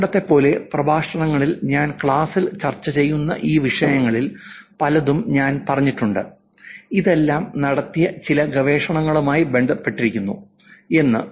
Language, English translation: Malayalam, And as always in the past also in the lectures I have said many of these topics that I am discussing in the class, it's all connected to some research done